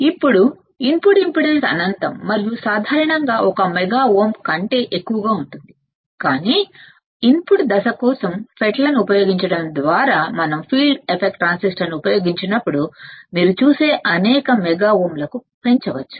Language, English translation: Telugu, Now input impedance is infinite and typically greater than one mega ohm, but using FETs for input stage it can be increased to several mega ohms you see when we use field effect transistor the input impedance will increase to several 100s of mega ohms